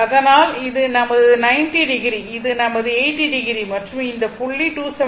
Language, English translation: Tamil, So, this is my 90 degree, this is my one 80 degree, and this point is 270 degree